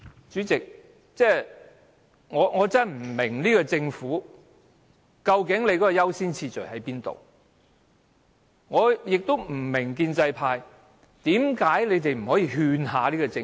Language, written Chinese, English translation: Cantonese, 主席，我真的不明白政府如何釐定優先次序，我也不明白建制派為何不勸說政府？, Chairman I really cannot understand how the Government sets the order of priority . I also cannot understand why the pro - establishment camp does not try to convince the Government